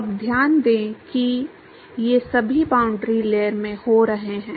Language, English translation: Hindi, Now note that all of these are happening in the boundary layer right